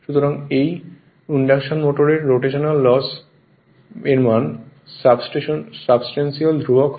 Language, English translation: Bengali, So, the rotational loss in an induction motor is substantially constant right